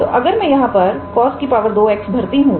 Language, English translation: Hindi, So, if I put a cos square x here